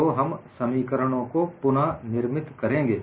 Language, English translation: Hindi, So, we would recast the expressions